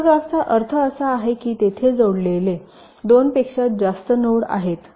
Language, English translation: Marathi, hyper graph means there are more than two nodes which are connected together